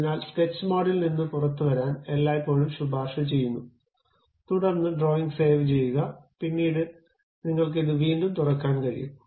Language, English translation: Malayalam, So, it is always recommended to come out of sketch mode, then save the drawing, and later you you you can reopen it